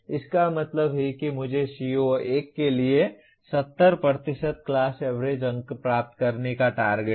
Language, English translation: Hindi, That means I aim to get 70% class average marks for CO1